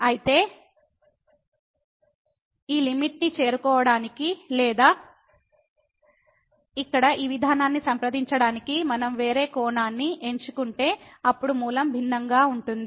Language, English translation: Telugu, So, if we choose a different angle to approach to this limit or to this approach to this point here the origin then the value will be different